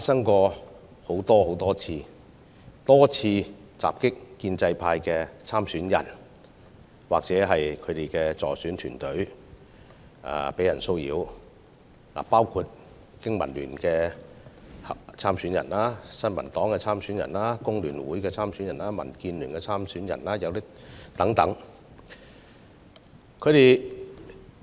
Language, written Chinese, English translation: Cantonese, 他們多次襲擊建制派參選人或騷擾其助選團隊，當中包括香港經濟民生聯盟的參選人、新民黨的參選人、香港工會聯合會的參選人和民主建港協進聯盟的參選人等。, They have assaulted pro - establishment candidates or harassed their agents many times including candidates from the Business and Professionals Alliance for Hong Kong BPA the New Peoples Party the Hong Kong Federation of Trade Unions and also the Democratic Alliance for the Betterment and Progress of Hong Kong